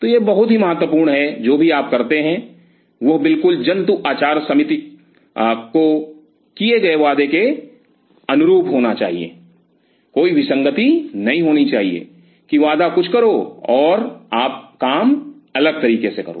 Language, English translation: Hindi, So, this part is very critical and whatever you do should tally with what you have promised with animal ethics people, should there should not be any discrepancy promise something and you do the stuff different way